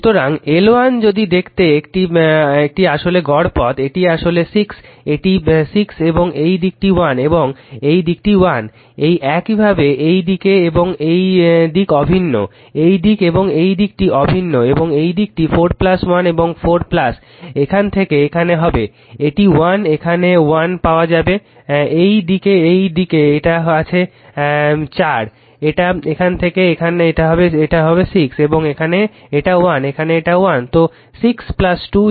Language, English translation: Bengali, this is actually 6, this is 6 right and this side is 1 and this side is 1, this similarly this side and this side identical right, this side and this side identical and this side 4 plus 1 and your 4 plus your what to call from here to here, it is 1 you get here 1 right, this side it is there yours 4 your what you call this from here to here it is 6 and here it is 1, here it is 1 right